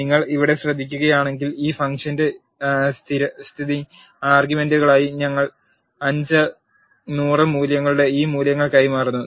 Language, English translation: Malayalam, If you notice here we are passing this values of 5 and 100 as a default arguments for this function